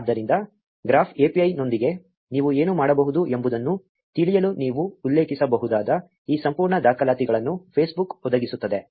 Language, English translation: Kannada, So, Facebook provides this whole set of documentation that you can refer to, to learn what all you can do with the graph API